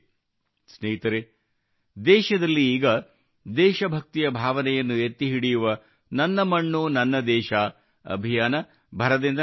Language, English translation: Kannada, Friends, At present, the campaign to evoke the spirit of patriotism 'Meri Mati, Mera Desh' is in full swing in the country